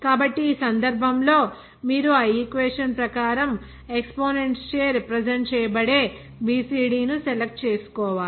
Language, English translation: Telugu, So, in this case, you have to select that b c d that will be represented by some other exponent as per that equation